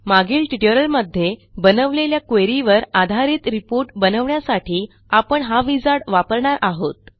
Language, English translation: Marathi, We will go through the wizard to create a report based on a query we created in the last tutorial